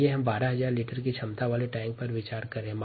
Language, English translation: Hindi, let us consider a tank of twelve thousand liter capacity